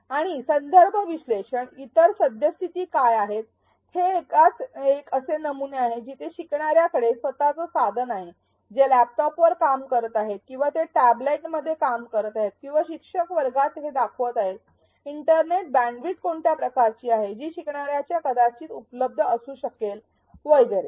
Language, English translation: Marathi, And the context analysis, what are the other existing conditions, is it a one to one model where every learner has a device, are they working on laptops or are they working in tablets or is it the teacher who is showing this in a classroom, what is the kind of internet bandwidth that learners might have access to and so on